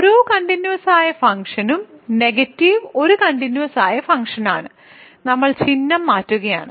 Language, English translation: Malayalam, For every continuous function it is negative is also a continuous function, we are just changing the sign